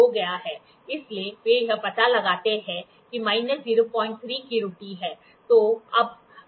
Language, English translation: Hindi, So, they figure out there is an error of minus 0